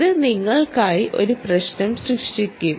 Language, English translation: Malayalam, this is going to create a problem for you